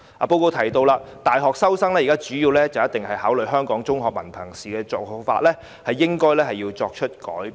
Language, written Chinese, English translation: Cantonese, 報告亦提到，大學收生主要考慮香港中學文憑考試成績的現行做法應該改變。, The Report also pointed out that the current practice of focusing primarily on examination results of the Hong Kong Diploma of Secondary Education DSE Examination in university admission should be changed